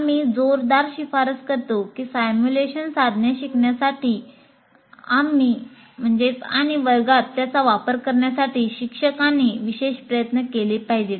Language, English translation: Marathi, And what we strongly recommend, teachers must make special effort to learn the simulation tools and use them in the class